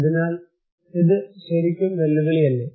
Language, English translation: Malayalam, So, is it not really challenging